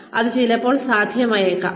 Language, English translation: Malayalam, May be possible, may be